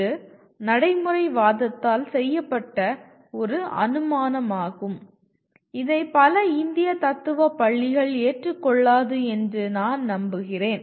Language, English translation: Tamil, This is an assumption that is made by pragmatism, with which I am sure many Indian schools of philosophy will not agree